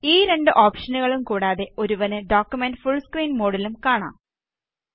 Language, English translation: Malayalam, Apart from both these options, one can also view the document in full screen mode